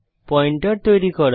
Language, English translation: Bengali, To create Pointers